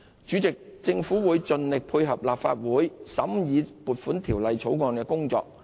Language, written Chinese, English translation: Cantonese, 主席，政府會盡力配合立法會審議《條例草案》的工作。, President the Government will make every effort to facilitate the Legislative Council in the scrutiny of the Bill